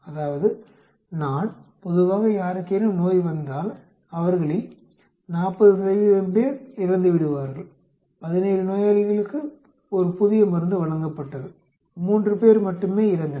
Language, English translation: Tamil, They know that if somebody gets the disease, probability of them dying is 40 percent, now a drug is given to 17 patients and only 3 die